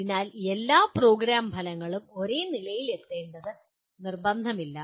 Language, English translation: Malayalam, So it is not mandatory that all program outcomes have to be attained to the same level